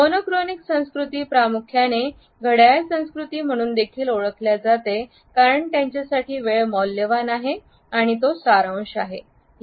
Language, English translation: Marathi, The monochronic cultures are also primarily known as the clock cultures because for them time is measured and it is of essence